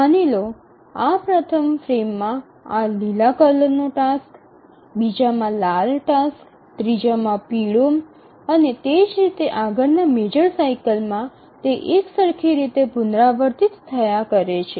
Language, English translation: Gujarati, In the major cycle the tasks are assigned to frames let's say this green task to this first frame, a red one to the second, yellow one to the third and so on, and in the next major cycle they are repeated identically